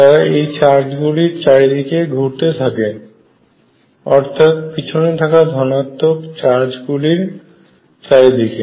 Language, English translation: Bengali, The kind of move around these charges the positive background charges